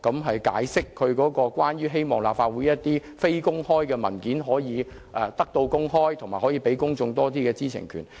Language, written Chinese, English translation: Cantonese, 她解釋為何她希望立法會的非公開文件可以得到公開，讓公眾有更多知情權。, She explained why she hoped that the closed documents of the Legislative Council would be made public so as to keep the public better informed